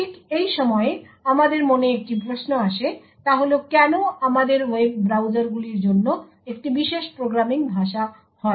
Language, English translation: Bengali, One question that actually comes to our mind at this particular point of time is why do we have a special programming language for web browsers